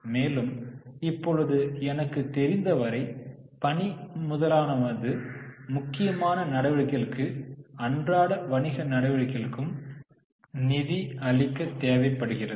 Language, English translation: Tamil, But if we know working capital is mainly required to finance the operations, it is required to finance the day to day business activities